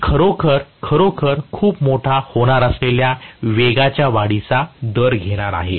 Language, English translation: Marathi, I am going to have the rate of rise of the speed that is going to be really really large